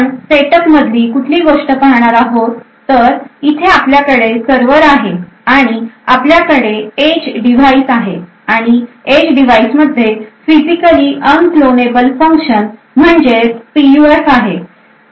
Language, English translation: Marathi, So the thing what we will be actually looking at a setup where we have a server over here and we have an edge device and this edge device has a physically unclonable function that is PUF present in it